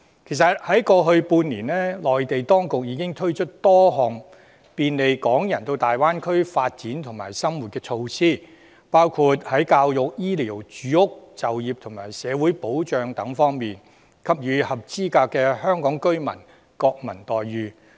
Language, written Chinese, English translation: Cantonese, "其實在過去半年，內地當局已經推出多項便利港人到大灣區發展和生活的措施，包括在教育、醫療、住屋、就業和社會保障等方面，給予合資格的香港居民國民待遇。, In fact over the last half year Mainland authorities have introduced some measures to facilitate Hong Kong people to seek development and to live in the Greater Bay Area . Such measures include granting eligible Hong Kong residents national treatments in the education health care housing employment and social security domains